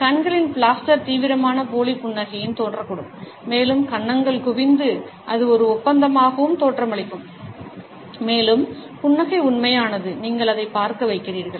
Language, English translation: Tamil, Blaster on the eyes can also appear in intense fake smiles and the cheeks may bunch up making it look as well as a contracting and that the smile is genuine, you make to see it